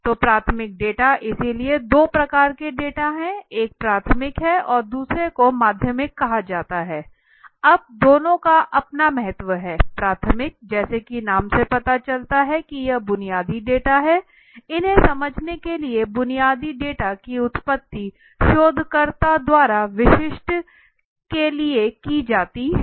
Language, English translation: Hindi, So a primary data so two types of data basically that we discuss one is primary so and the second is called secondary, now both have their own importance right a primary and secondary so primary as the name suggests it is primary that means primary means basic so basic data so to understand these are originated by the researcher for the specific